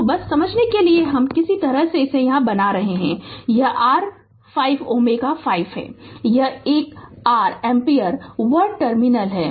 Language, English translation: Hindi, So, just for your understanding I am somehow I am making it here say, this is your say 5 ohm, this is your one ampere 1 terminal 1